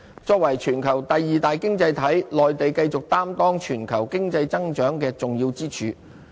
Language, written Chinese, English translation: Cantonese, 作為全球第二大經濟體，內地繼續擔當全球經濟增長的重要支柱。, As the second largest economy in the world Mainland remains a pillar of global economic growth